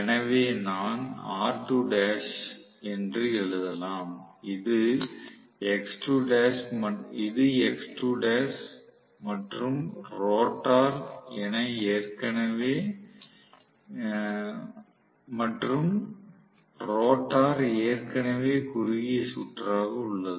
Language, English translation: Tamil, So, I can write it to be r2 dash and this as x2 dash and rotor is already short circuited